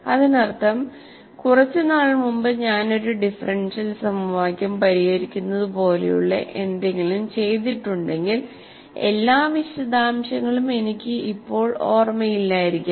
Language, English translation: Malayalam, That means, if I have done something solved a differential equation quite some time ago, I may not remember all the details